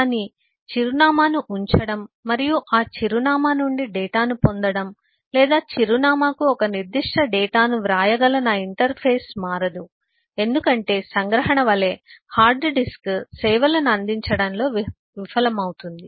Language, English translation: Telugu, but my interface of being able to put an address and get the data out from that address or write a specific data to an address cannot change, because then the hard disk as an abstraction fails to provide the services